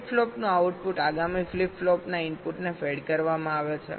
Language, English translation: Gujarati, the output of a flip flop is fed to the clock input of the next flip flop